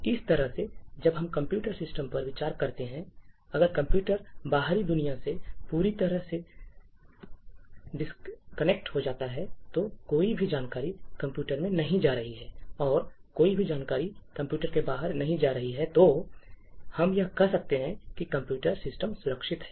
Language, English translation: Hindi, In a very similar way, when we consider computer systems, if the computer is totally disconnected from the external world, no information is going into the computer and no information is going outside a computer, then we can say that computer system is secure